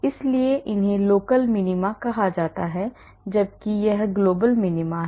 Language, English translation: Hindi, so these are called local minima whereas this is the global minima